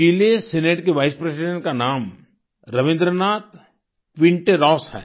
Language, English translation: Hindi, The name of the Vice President of the Chilean Senate is Rabindranath Quinteros